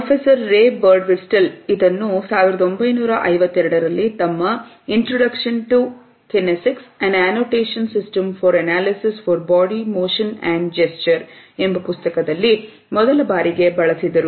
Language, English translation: Kannada, Professor Ray Birdwhistell, had used it for the first time in 1952 in his book Introduction to Kinesics: An Annotation System for Analysis of Body Motion and Gesture